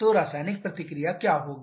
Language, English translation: Hindi, So, we have to consider the chemical reaction also